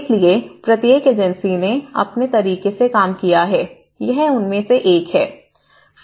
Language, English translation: Hindi, So, each agency has worked in their own way, so this is one of the input